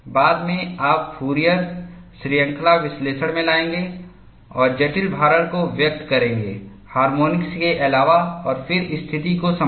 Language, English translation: Hindi, Later on, we will bring in Fourier series analysis and express the complicated loading as addition of harmonics and then handle the situation